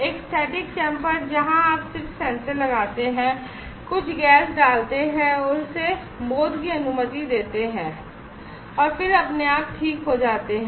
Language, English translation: Hindi, A static chamber where you just put the sensor put some gas and allow it to sense and then automatically it gets recovered